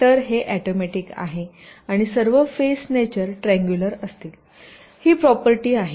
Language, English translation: Marathi, ok, so it is automatic, and all the faces will be triangular in nature